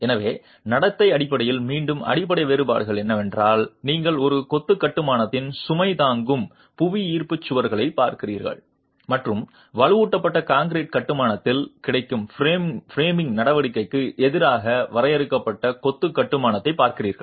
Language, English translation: Tamil, So, again fundamental difference in terms of behaviour would be you are looking at load bearing gravity walls in a masonry construction and in the confined masonry construction versus framing action which is available in a reinforced concrete construction